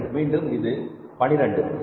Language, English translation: Tamil, 2, it maybe 12 also